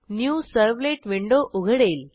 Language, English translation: Marathi, A New Servlet window opens